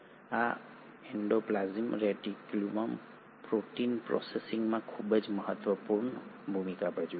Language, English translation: Gujarati, And this endoplasmic reticulum plays a very important role in protein processing